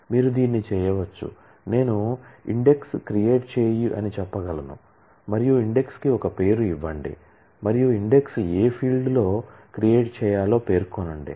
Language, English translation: Telugu, You can do this, I can say create index and give a name for the index and specify which field on which the index should be created